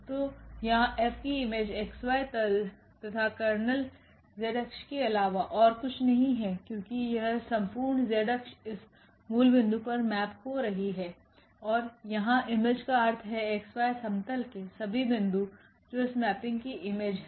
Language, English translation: Hindi, So, here the image is the xy plane and the kernel of F is nothing but the z axis because the whole z axis is mapping to this origin and the image means here that all the points in xy plane that is the image of this mapping